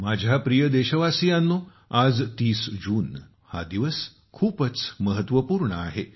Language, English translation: Marathi, My dear countrymen, today, the 30th of June is a very important day